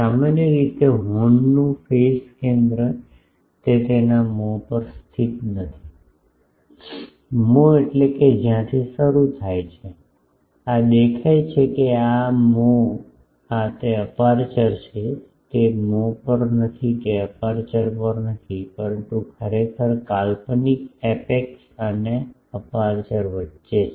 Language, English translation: Gujarati, Usually the phase center of the horn is not located at it is mouth; mouth means where from it starts this is look at this is the mouth this is the aperture it is not at the mouth not at the aperture, but actually between the imaginary apex and aperture